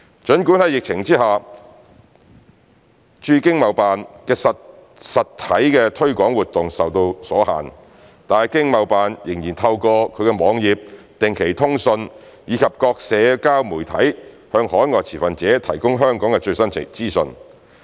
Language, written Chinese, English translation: Cantonese, 儘管在疫情之下，經貿辦的實體推廣活動受到阻限，但經貿辦仍透過其網頁、定期通訊，以及各社交媒體向海外持份者提供香港的最新資訊。, For all that ETOs physical marketing activities have been obstructed under the pandemic - induced constraints ETOs still provide overseas stakeholders with the latest information on Hong Kong in their websites and regular newsletters as well as through various social media